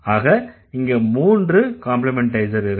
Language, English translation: Tamil, There are three complementizers here